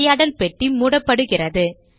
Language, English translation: Tamil, The dialog window gets closed